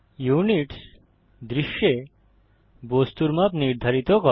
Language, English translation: Bengali, Units determines the scale of the objects in the scene